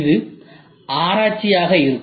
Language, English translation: Tamil, This is going to be research, ok